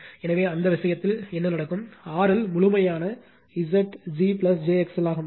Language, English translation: Tamil, So, in that case what will happen, R L will become absolute Z g plus j x l